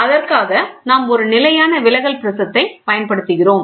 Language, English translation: Tamil, For that, we use a constant deviating prism